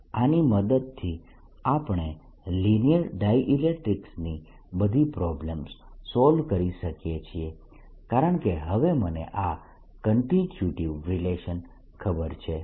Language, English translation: Gujarati, with these we can solve all the problems in linear dielectrics because i know this constituent relationship plus all one example